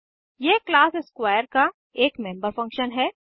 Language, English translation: Hindi, It is a member function of class square